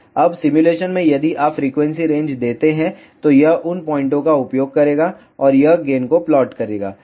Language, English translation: Hindi, Now, in simulation if you give the frequency range, then it will use those points, and it will plot the gain